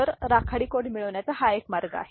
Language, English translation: Marathi, So, this is one way of getting the gray code, right